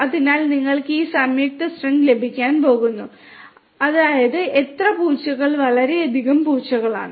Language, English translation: Malayalam, So, you are going to get this joint string which is how many cats is too many cats